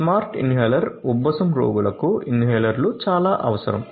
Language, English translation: Telugu, Smart Inhaler inhalers are a very essential requirement of asthma patients